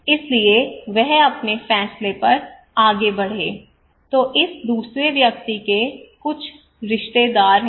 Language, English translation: Hindi, So he would proceed, go ahead with his decision then this second person he have some relatives